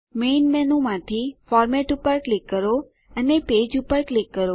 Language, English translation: Gujarati, From the Main menu, click on Format and click Page